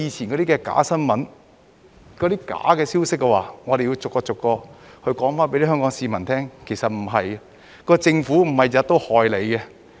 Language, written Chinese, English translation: Cantonese, 關於過去的假新聞、假消息，我們要逐一向香港市民解釋，實情並非這樣。, Regarding fake news and fake information of the past we have to explain to Hong Kong people and rebut them one by one